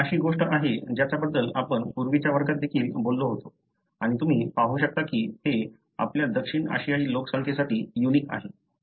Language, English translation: Marathi, This is something that we, you know, we spoke about in the earlier class also and you can see that that is unique to our South Asian population